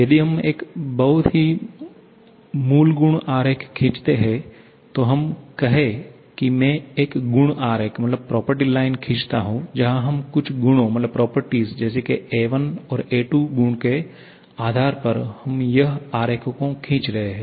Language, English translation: Hindi, If we draw a very basic property diagram, let us say I draw a property diagram where we are using some properties a1 and a2 based upon which we are plotting